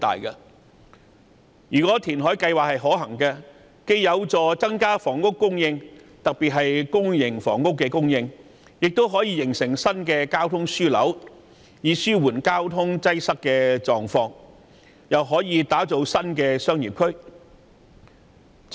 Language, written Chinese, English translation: Cantonese, 如果填海計劃可行，既有助增加房屋供應，特別是公營房屋的供應，亦可形成新的交通樞紐，以紓緩交通擠塞的狀況，更可打造新的商業區。, If this reclamation project is found to be feasible the supply of housing particularly public housing will increase and a new transportation hub can then be built to ease traffic congestion . The development of a new business district will also be possible